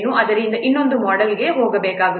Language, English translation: Kannada, So there is a need to go for another model